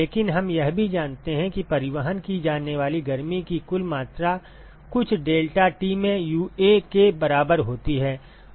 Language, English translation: Hindi, But we also know that the total amount of heat that is transported is equal to UA into some deltaT